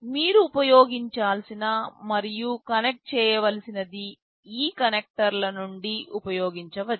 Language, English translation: Telugu, Whatever you need to use and connect you can use from this connectors